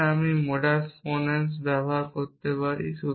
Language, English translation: Bengali, So, I can using modus ponens